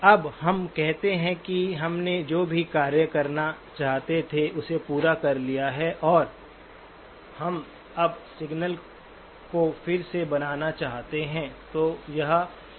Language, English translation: Hindi, Now let us say that we have completed whatever task we wanted to do and now we want to reconstruct the signal